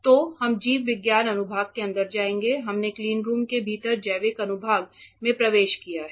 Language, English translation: Hindi, So, we will go inside the biology section we have entered the biological section within the cleanroom